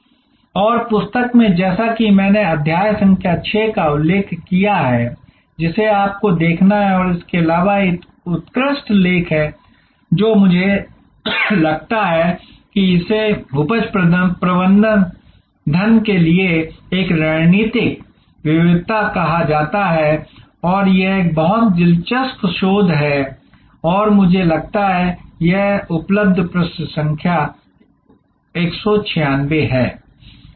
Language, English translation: Hindi, And in the book as I have mentioned chapter number 6 is what you have to look at and in addition to that there is an excellent article I think it is called a strategic livers for yield management and that paper it is a very famous very interesting research paper and I think is it is available page number 196 page 196